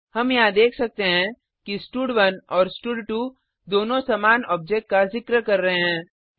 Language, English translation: Hindi, We can see that here both stud1 and stud2 refers to the same object